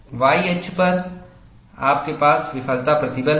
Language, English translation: Hindi, On the y axis, you have the failure stress